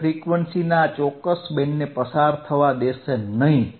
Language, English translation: Gujarati, iIt will not allow this particular band of frequency to pass